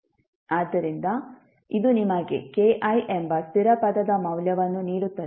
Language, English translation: Kannada, So, this will give you the value of constant term k i